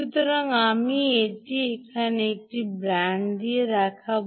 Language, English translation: Bengali, so i will show it with a band here